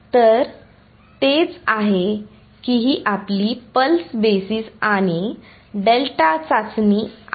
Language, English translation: Marathi, So, that is or that is your pulse basis and delta testing ok